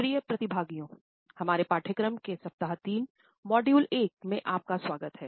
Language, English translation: Hindi, Dear participants, welcome to week 3, module 1, in our course